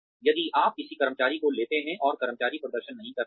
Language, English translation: Hindi, If you take in an employee, and the employee does not perform